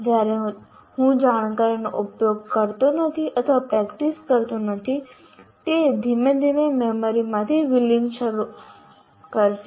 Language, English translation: Gujarati, When I am not using that knowledge or practicing, it will slowly start fading from the memory